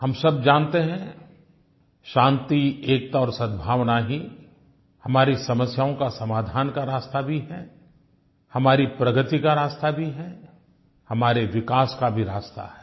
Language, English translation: Hindi, We all know that peace, unity and harmony are the only way to solve our problems and also the way to our progress and development